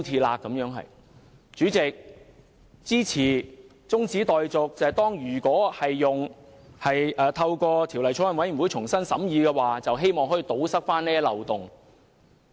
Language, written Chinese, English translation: Cantonese, 代理主席，我支持中止待續議案，讓法案委員會重新審議，以堵塞這些漏洞。, Deputy President I support the adjournment motion so that the Bills Committee can scrutinize the Bill again to plug these loopholes